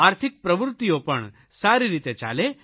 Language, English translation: Gujarati, Economic activities too should be back on track